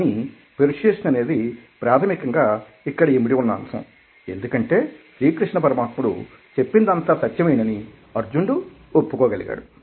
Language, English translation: Telugu, but the fundamentally issue involved over here is that persuasion takes place because arjuna, in some way or the other, is convinced that whatever lord krishna is telling is the truth